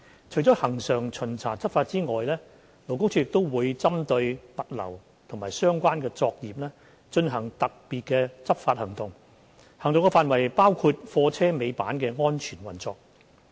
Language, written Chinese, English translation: Cantonese, 除了恆常巡查執法之外，勞工處亦會針對物流及相關作業進行特別執法行動，行動範圍包括貨車尾板的安全運作。, Apart from regular enforcement inspection LD also carries out special enforcement operations targeting the logistics and related industries . These operations cover the safe operation of tail lifts